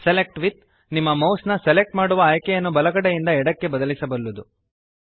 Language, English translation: Kannada, Select with can change the selection option of your mouse from right to left